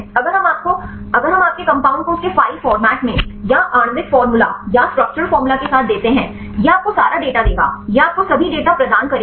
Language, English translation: Hindi, If we give your compound in its file format or with the molecular formula or with the structure formula; it will give you all the data, it will provide you all the data